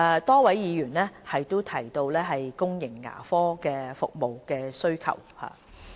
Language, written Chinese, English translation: Cantonese, 多位議員提到公營牙科服務的需求。, A number of Members have mentioned the demand for public dental services